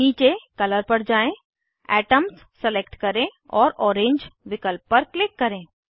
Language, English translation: Hindi, Scroll down to Color, select Atoms and click on Orange option